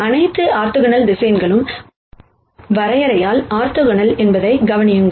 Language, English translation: Tamil, Notice that all orthonormal vectors are orthogonal by definition